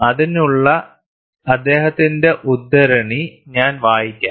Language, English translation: Malayalam, I will read his quote for that